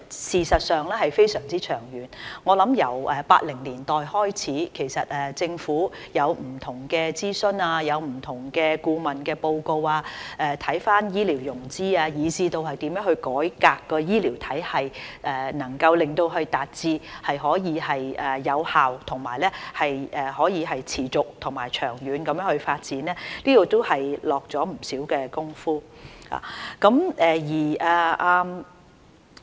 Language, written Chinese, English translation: Cantonese, 事實上是非常長遠，我想由1980年代開始，政府有不同的諮詢、不同的顧問報告，檢視醫療融資以至如何改革醫療體系，使其能夠達至有效、持續和長遠地發展，在這方面下了不少工夫。, In fact it has lasted very long . I am convinced that since the 1980s the Government has made considerable efforts through different consultations and consultancy reports to look into healthcare financing and even ways to reform the healthcare system so as to enable its effective sustainable and long - term development